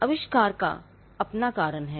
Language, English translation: Hindi, Inventions have their own reason